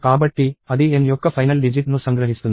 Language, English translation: Telugu, So, that extracts the last digit of n